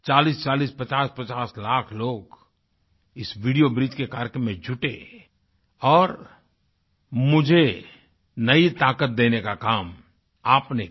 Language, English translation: Hindi, 4050 lakh people participated in this video bridge program and imparted me with a new strength